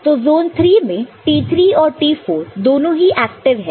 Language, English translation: Hindi, So, in zone III, T4 and T3 both are active, ok